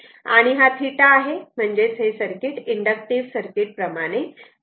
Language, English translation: Marathi, And this is theta, so that means, this circuit behave like inductive type